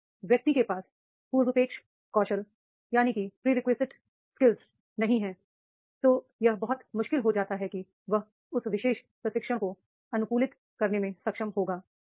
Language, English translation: Hindi, If the person is not having the prerequisite skills then it becomes very very difficult that is he will be able to adopt that particular training